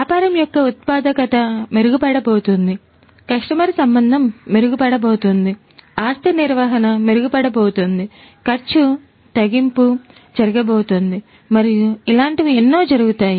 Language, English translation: Telugu, The productivity of the business is going to improve, the customer relationship is going to improve, the asset management is going to improve, the cost reduction is going to happen and so on